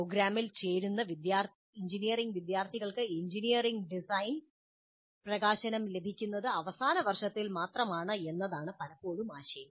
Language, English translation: Malayalam, Often the idea is that the engineering students who join the program do get exposure to engineering design only in the final year